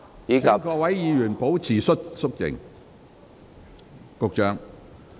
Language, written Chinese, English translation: Cantonese, 請各位議員保持肅靜。, Will Members please keep quiet